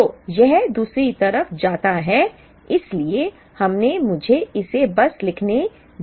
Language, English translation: Hindi, So, this goes to the other side, so we will have let me just write it down